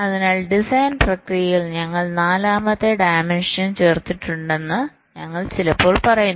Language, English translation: Malayalam, so we sometime say that we have added a fourth dimension to the design process